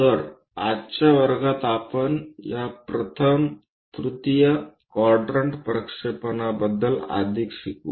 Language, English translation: Marathi, So, in today's class we will learn more about this first quadrant projections